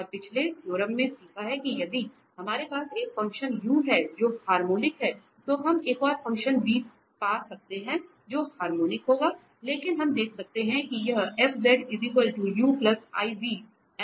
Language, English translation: Hindi, And we have learned just in the previous theorem that if we have a function u which is harmonic then we can find the another function v which will be also harmonic but we can see that this f z u plus iv is analytic